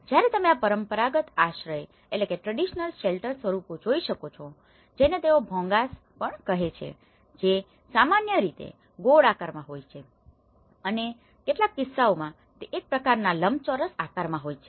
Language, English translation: Gujarati, Whereas, you can see these traditional shelter forms in local language they call also the Bhongas which is normally there in circular shape and in some cases they are in a kind of rectangular shape